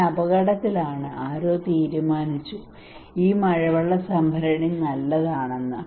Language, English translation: Malayalam, I am at risk somebody decided and then also decided that this rainwater tank is good